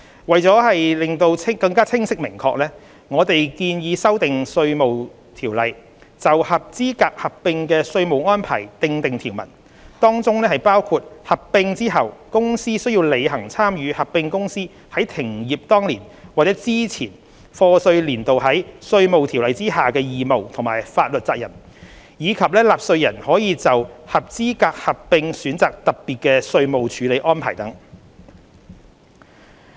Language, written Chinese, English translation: Cantonese, 為求清晰明確，我們建議修訂《稅務條例》，就合資格合併的稅務安排訂定條文，當中包括合併後公司須履行參與合併公司在停業當年或之前課稅年度在《稅務條例》下的義務和法律責任，以及納稅人可就合資格合併選擇特別稅務處理安排等。, For clarity and certainty we propose to amend IRO to provide for tax treatment for qualifying amalgamations including the following the amalgamated company must comply with all obligations and meet all liabilities of the amalgamating company in the qualifying amalgamation under IRO in respect of the year the latter ceases business or the previous year of assessment and special tax treatment is provided to qualifying amalgamations upon election by taxpayers etc